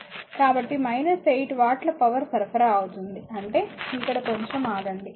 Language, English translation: Telugu, So, it is coming minus 8 watt supplied power; that means, here you come just hold on